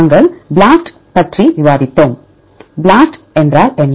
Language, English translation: Tamil, We discussed BLAST, what is the BLAST